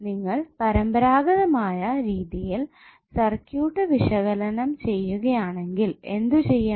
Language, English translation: Malayalam, If you see the conventional way of circuit analysis what you have to do